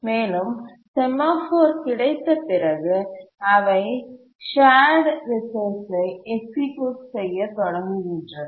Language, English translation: Tamil, And after getting access to the semaphore, they start executing the shared resource